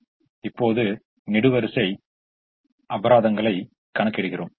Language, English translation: Tamil, but now let us look at the column penalties for the three columns